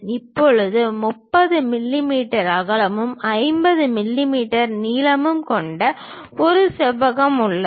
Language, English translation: Tamil, Now, we have a rectangle of size 30 mm in width and 50 mm in length